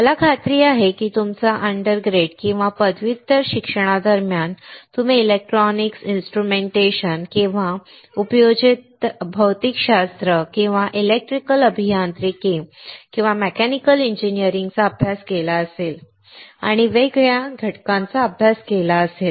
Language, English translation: Marathi, I am sure that during your undergrad or masters, you must have studied electronics instrumentation or applied physics or electrical engineering or mechanical engineering, and have come across discrete components